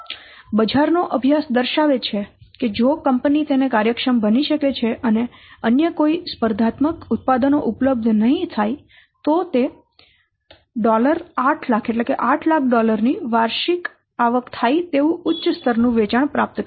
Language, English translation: Gujarati, So, study of the market shows that if the company can target it efficiently and no competing products become available, then it will obtain a high level of sales generating what an annual income of $8,000